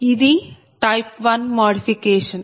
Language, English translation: Telugu, so it is a type one modification